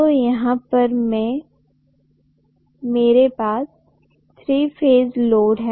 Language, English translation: Hindi, So I am having a three phase load